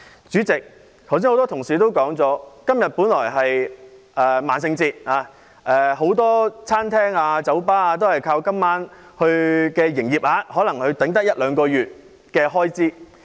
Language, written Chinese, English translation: Cantonese, 主席，剛才很多同事提到今天是萬聖節，很多餐廳、酒吧都靠今晚的營業額來支撐一兩個月的開支。, Chairman many colleagues have just said that today is Halloween and many restaurants and bars rely on the turnover tonight to cover their expenditures for two months